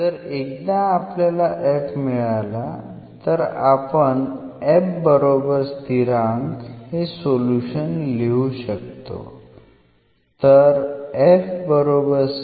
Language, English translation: Marathi, So, once we have f we can write down the solution as f is equal to constant